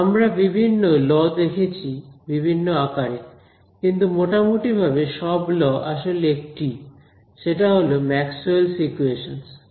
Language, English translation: Bengali, These different kind of different laws for different settings, the overall laws are the same which are Maxwell’s equations